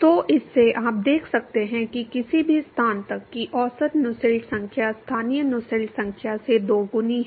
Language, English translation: Hindi, So, from this you can see that the average Nusselt number, till any location is given by twice that of the local Nusselt number